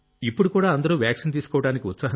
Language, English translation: Telugu, Are people still keen to get vaccinated